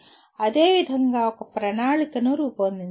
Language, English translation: Telugu, Similarly, create a plan